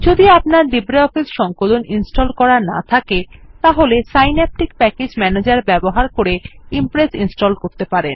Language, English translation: Bengali, If you do not have LibreOffice Suite installed, Impress can be installed by using Synaptic Package Manager